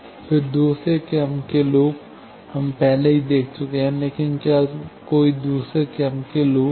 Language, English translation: Hindi, Then, second order loop, we have already seen, but is there any second order loop